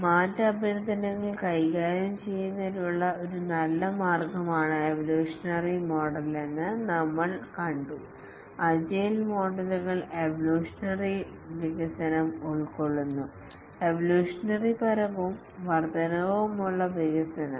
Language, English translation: Malayalam, We had seen that the evolutionary model is a good way to handle change requests and the agile models do incorporate evolutionary development, evolutionary and incremental development